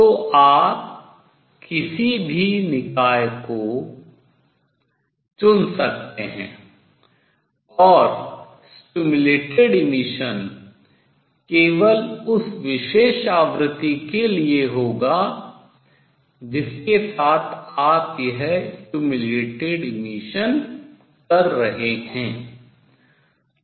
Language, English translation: Hindi, So, you can choose any system and the stimulated emission will take place only for that particular frequency with which you are doing this stimulated emission